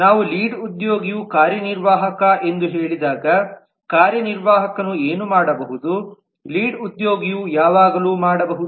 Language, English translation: Kannada, when we say lead is an executive because anything that the executive can do the lead can always do